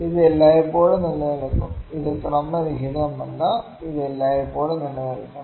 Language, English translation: Malayalam, This would always exist; this is not random this should always exist